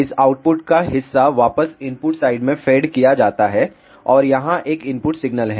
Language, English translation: Hindi, So, part of this output is fed back to the input side, and here is an input signal